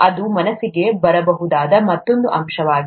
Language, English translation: Kannada, That is another aspect that could come to mind